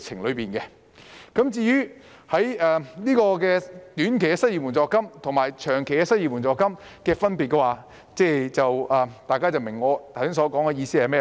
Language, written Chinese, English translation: Cantonese, 至於短期失業援助金及長期失業援助金的分別，大家也應該明白我剛才所說的意思。, Concerning the difference between short - term unemployment assistance and long - term unemployment assistance Honourable colleagues should understand the meaning of what I have just referred to